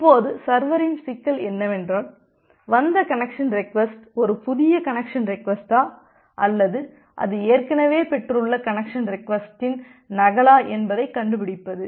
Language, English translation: Tamil, Now, the problem for the server is to find out that whether this connection request one that it has received, whether that is a new connection request or it is a duplicate of the connection request to that that it has already received